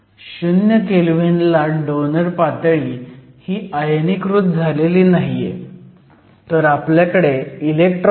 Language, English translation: Marathi, So, At 0 Kelvin the donor level is not ionized, so, we basically have electrons